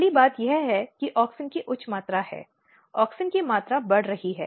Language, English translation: Hindi, The first thing is happening that there is high amount of auxin, auxin amount is going up